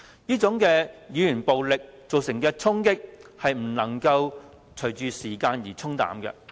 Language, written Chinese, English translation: Cantonese, 這種語言暴力所造成的衝擊，不會隨着時間而沖淡。, The impacts brought by such verbal violence will not fade as time passes